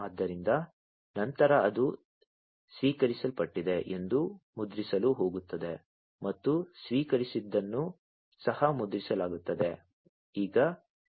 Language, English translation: Kannada, So, thereafter it is going to print that it has been received and what has been received is also going to be printed